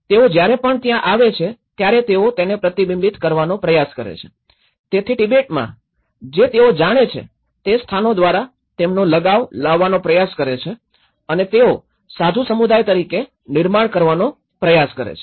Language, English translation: Gujarati, So, whenever they have been there so they try to reflect, they try to bring their attachments through the places what they already know from Tibet and they try to build as the monastic communities